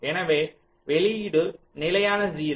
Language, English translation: Tamil, so the output is steady, zero